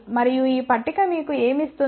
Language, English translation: Telugu, And what this table gives you